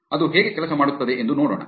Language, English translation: Kannada, Let us see how that works